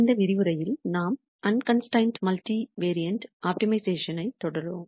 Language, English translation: Tamil, In this lecture we will continue with Unconstrained Multivariate Optimiza tion